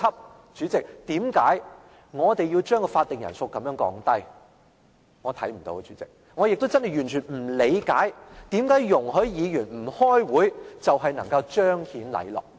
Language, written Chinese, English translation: Cantonese, 代理主席，為何我們要將法定人數這樣降低，我看不到，代理主席，我也真的完全不理解為何容許議員不開會就能彰顯禮樂。, Deputy President I cannot see why we have to reduce the quorum to such a low level . Deputy President I also find it perplexing how we can exemplify proprieties and music by allowing Members to skip meetings